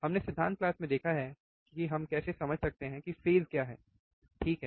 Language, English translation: Hindi, Again, we have seen in the theory class how we can understand what are the phases, right